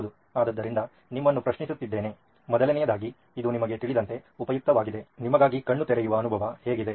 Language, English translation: Kannada, Yes, so question to you, so first of all was it useful you know, eye opening for you, how was this